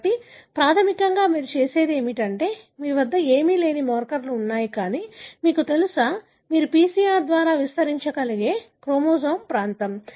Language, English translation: Telugu, So, basically what you do is, so you have markers which are nothing, but, you know, the region of the chromosome that you can amplify by PCR